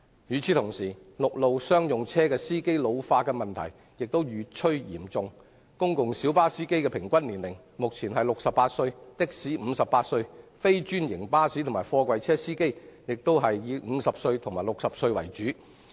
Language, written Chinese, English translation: Cantonese, 與此同時，陸路商用車司機老化的問題越趨嚴重，目前公共小巴司機的平均年齡為68歲、的士司機58歲、非專營巴士及貨櫃車司機亦以50至60歲為主。, Meanwhile the ageing problem of commercial drivers of road transport is getting more serious . At present the average age of green minibus and taxi drivers is 68 and 58 respectively while drivers of non - franchised buses and container trucks are mainly in their fifties